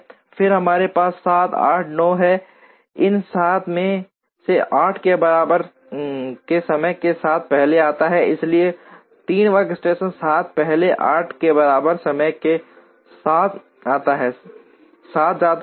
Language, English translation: Hindi, Then we have 7, 8 and 9; out of these 7 comes first with time equal to 8, so 3rd workstation 7 comes first with time equal to 8; 7 goes